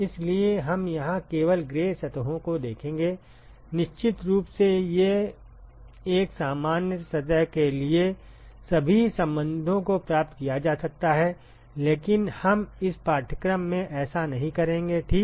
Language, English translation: Hindi, So, we will look at only gray surfaces here, of course one could derive all the relationships for a normal surface, but we will not do that in this course ok